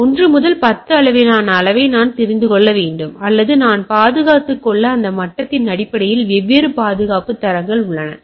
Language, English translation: Tamil, So, I can need to know say 1 to 10 scale or there are different security standards upto on that basis of that out level I have secured right